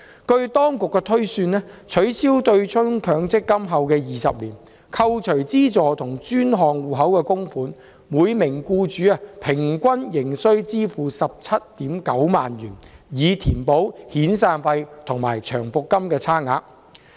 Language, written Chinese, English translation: Cantonese, 據當局推算，取消強積金對沖後的20年，扣除資助和專項戶口的供款，每名僱主仍須支付平均 179,000 元，以填補遣散費和長期服務金的差額。, According to the projection of the authorities two decades after the MPF offsetting mechanism is abolished and after deducting the government subsidy and the contributions in the designated savings account each employer still has to pay an average of 179,000 to top up the amounts that fall short of the severance payment and long service payment